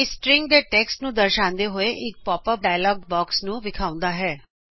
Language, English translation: Punjabi, It shows a pop up dialog box containing text from the string